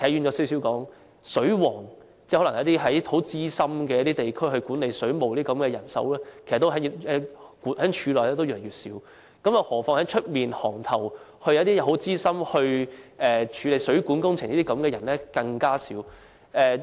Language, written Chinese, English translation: Cantonese, 我可能稍微偏離議題，簡單而言，在地區內，管理水務的資深人員俗稱"水王"，但他們在水務署內也越來越少，更何況在外界，資深水務工程人員就更少。, I may stray from the topic a little bit but simply speaking there are less and less experienced staff in WSD which are generally referred to as plumbing masters in the community . So we can imagine that there are even less experienced plumbing practitioners outside WSD